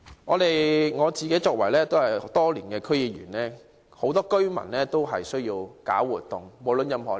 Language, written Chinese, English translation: Cantonese, 我多年來擔任區議員，知道無論任何年齡的居民都需要搞活動。, I have been a District Council member for many years and I know that residents of all ages need to engage in activities